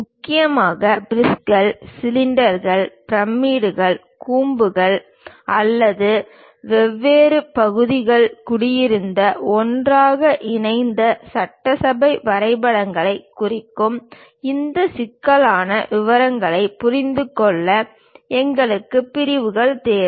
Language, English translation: Tamil, Mainly to represents prisms, cylinders, pyramids, cones or perhaps assembly drawings where different parts have been assembled, joined together; to understand these intricate details we require sections